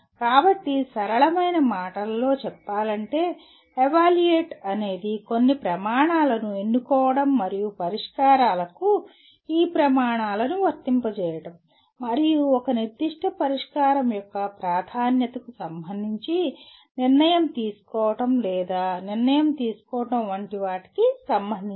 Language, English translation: Telugu, So put in simple words, evaluate is concerned with selecting certain criteria and applying these criteria to the solutions and coming to or judging or making a decision with regard to the preference of a particular solution